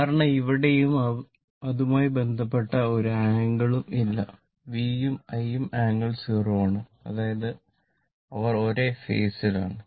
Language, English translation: Malayalam, Because, here also no angle associated with that both V and I are angle 0 degree; that means, they are in the same phase